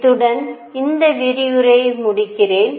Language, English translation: Tamil, And with this I conclude this lecture